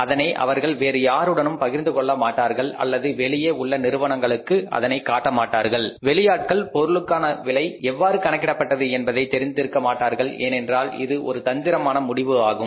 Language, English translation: Tamil, They don't share it with anybody or any other side or any outside firm and outsiders don't know how the cost of the product is calculated because it is a very strategic decision